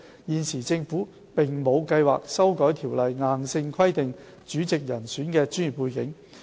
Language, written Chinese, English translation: Cantonese, 現時，政府並無計劃修例硬性規定主席人選的專業背景。, At present the Government has no plan to amend the legislation to prescribe any specific requirement on the professional background of the Chairman